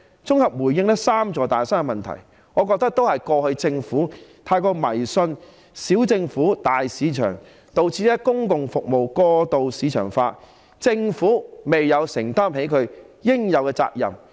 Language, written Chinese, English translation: Cantonese, 綜合地回應"三座大山"的問題，我認為過去政府太過迷信"小政府，大市場"，導致公共服務過度市場化，政府未有承擔起應負的責任。, As an overall response to the issue of the three big mountains I believe that in the past the Government had too much faith in small government big market thus resulting in the excessive marketization of public services and the failure of the Government to assume its due share of responsibilities